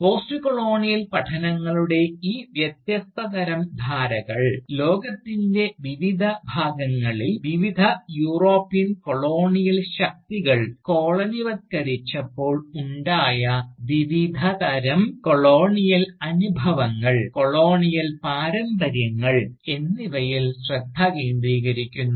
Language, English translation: Malayalam, And, these different sort of threads of Postcolonial studies, focus on the different kinds of Colonial experiences, and Colonial legacies, that various European Colonial powers had subjected to, the different parts of the world, that they Colonised